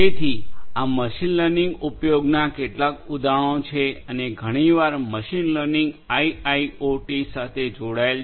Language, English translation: Gujarati, So, these are some of these examples of the use of machine learning and often machine learning combined with IIoT